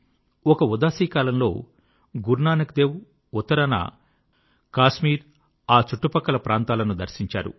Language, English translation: Telugu, During one Udaasi, Gurunanak Dev Ji travelled north to Kashmir and neighboring areas